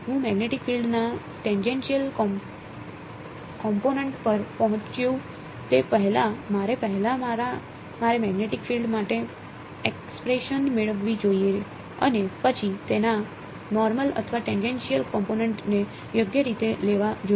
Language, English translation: Gujarati, Before I get to tangential component of the magnetic field, I should just I should first get an expression for the magnetic field and then take its normal or tangential component right